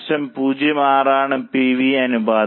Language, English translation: Malayalam, 06 is the PV ratio